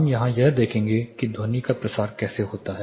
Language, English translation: Hindi, We will here look at how sound propagates